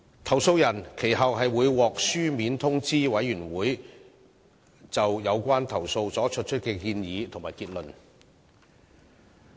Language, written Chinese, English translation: Cantonese, 投訴人其後會獲書面通知委員會就有關投訴所作出的建議和結論。, The complainants will subsequently be advised of the Committees recommendations and conclusions on the relevant complaints in writing